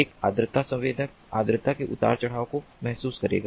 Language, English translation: Hindi, a humidity sensor will be sensing the humidity fluctuations